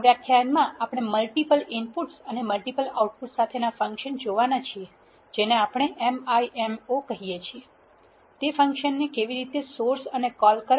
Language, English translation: Gujarati, In this lecture we are going to see functions with multiple inputs and multiple outputs which we call MIMO how to source and call those functions